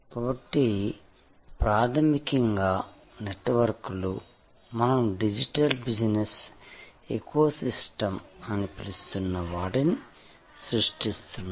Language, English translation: Telugu, So, fundamentally the networks are creating what we call digital business ecosystem